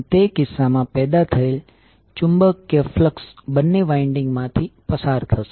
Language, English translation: Gujarati, And the magnetic flux in that case, generated will goes through the both of the windings